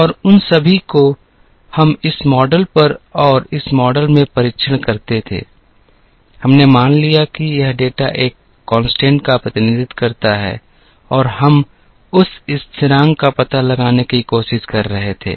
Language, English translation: Hindi, And all of them, we used to test on this model and in this model; we assumed that this data represents a constant and we were, trying to find out that constant